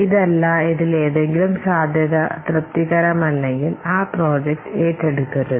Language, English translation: Malayalam, Otherwise, if any of the feasibility it is not satisfied, then we should not take up that project